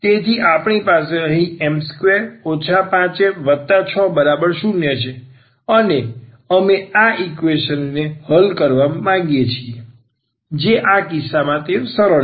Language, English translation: Gujarati, So, we have here m square we have minus 5 m then we have plus 6 here and we want to solve this equation which in this case it is it is a simple one